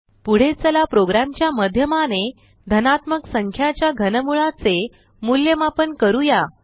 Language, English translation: Marathi, lets next evaluate Cube root of a positive number through a program